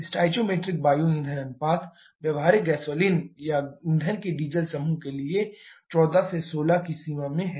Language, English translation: Hindi, The stoichiometric air fuel ratio, for practical gasoline or diesel group of fuels it is in the range of 14 to 16